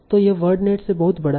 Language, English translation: Hindi, So much larger in comparison to word net